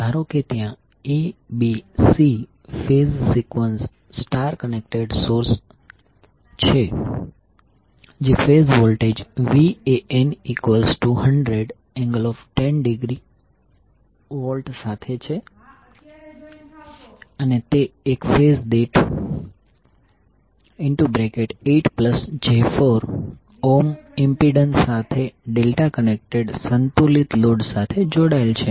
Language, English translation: Gujarati, Suppose there is A, B, C phase sequence star connected source with the phase voltage Van equal to 100 angle 10 degree and it is connected to a delta connected balanced load with impedance 8 plus J 4 Ohm per phase